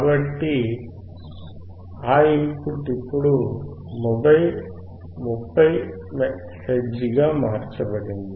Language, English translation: Telugu, So, that input is now changed to 30 hertz